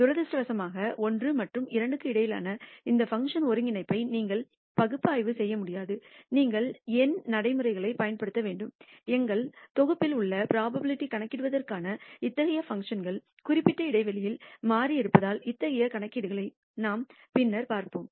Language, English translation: Tamil, Unfortunately, you cannot analytically do this integration of this function between 1 and 2 you have to use numerical procedures and the our package contains, such functions for computing the probability numerically such that the variable lies within some given interval we will see such computations a little later